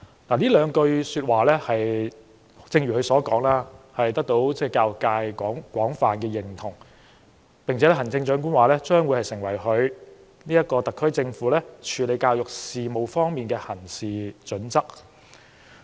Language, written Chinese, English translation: Cantonese, 正如她所說，這兩句說話得到教育界廣泛認同，行政長官並指這將會成為特區政府處理教育事務的行事準則。, According to the Chief Executive these two statements have earned wide support from the education sector and that the statements will become the guiding principles of the SAR Government for handling education matters